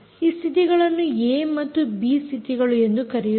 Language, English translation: Kannada, these states are called a and b sates